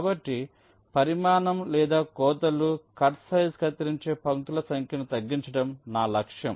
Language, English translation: Telugu, so my objective is to minimize the size or the cuts, the cut size number of lines which are cutting